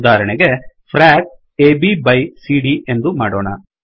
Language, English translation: Kannada, For example, lets put dollar frac A B by C D